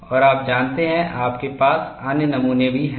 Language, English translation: Hindi, And you know, you also have other specimens